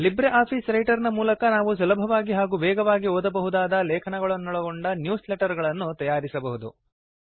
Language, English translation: Kannada, Using LibreOffice Writer one can create newsletters which make reading of articles much easier and faster